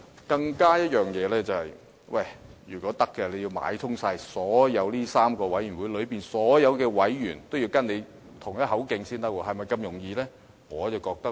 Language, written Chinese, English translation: Cantonese, 更重要的是，任何違紀人員也要先買通上述3個委員會內所有委員，與他同一口徑，是否這麼容易可辦到呢？, More importantly any ICAC officer who has breached staff discipline will have to successfully bribe members of these committees and unit to sing the same tune as his before he can escape the long arm of the law